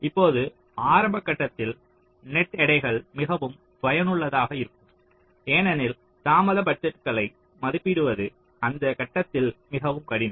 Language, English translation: Tamil, the initial stage is net weights can be more effective because delay budgets are very difficult to to estimate during that stage